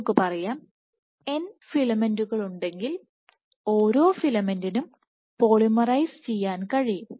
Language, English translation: Malayalam, If there are n filaments let us say, n filaments then each filament can polymerize